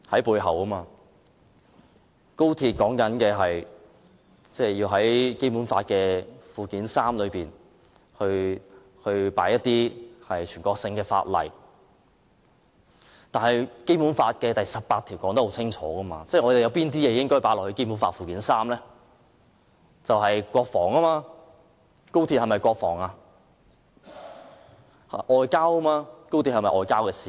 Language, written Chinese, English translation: Cantonese, 為了高鐵，要在《基本法》附件三加入一些全國性法例，但《基本法》第十八條清楚註明加入附件三的法例，是有關國防及外交事務的法例，那麼高鐵關乎國防及外交事務嗎？, For the sake of XRL some national laws must be added to Annex III of the Basic Law . Article 18 of the Basic Law provides that laws listed in Annex III are confined to those related to defence and foreign affairs . But is XRL related to defence and foreign affairs?